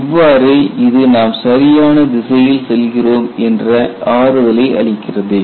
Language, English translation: Tamil, So, this gives a comfort that we are preceding in the right direction